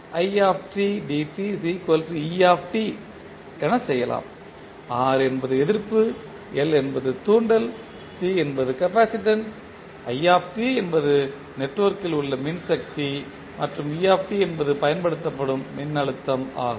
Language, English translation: Tamil, R is the resistance, L is the inductance, C is capacitance, t is the current in the network, et is the applied voltage